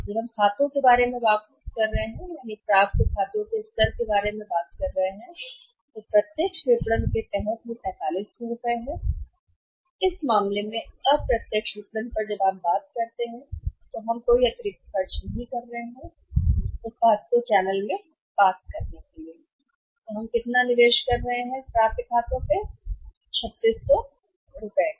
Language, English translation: Hindi, When we are talking about the accounts receivables level even under the direct marketing also accounts receivables level is 4500 rupees and in this case in the indirect marketing when you talk about we are making the no additional investment for passing of the product to the channel and how much investment we are making the accounts receivable that additional investment in the accounts as well we are making is 3600 rupees only